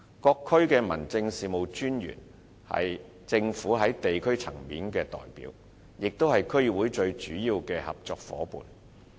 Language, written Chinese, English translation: Cantonese, 各區的民政事務專員是政府在地區層面的代表，也是區議會最主要的合作夥伴。, The District Officers in various districts are representatives of the Government at the district level and also the principal partners of DCs